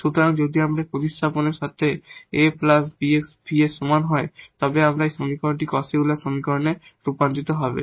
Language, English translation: Bengali, So, if we do that a plus bx is equal to v with this substitution our equation will be converted to this Cauchy Euler equation and we know how to solve Cauchy Euler equation